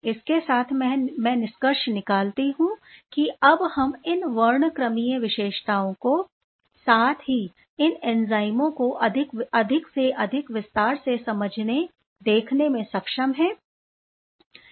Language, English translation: Hindi, With this, let me conclude then that we are able to able to see this these spectral features as well as the human efforts to understand these enzymes in greater detail